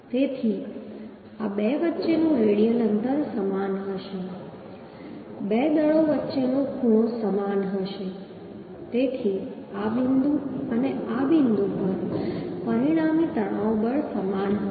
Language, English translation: Gujarati, Therefore the radial distance between this two will be same the angle between two forces will be same therefore the stresses the resultant stresses at this point and this point will be same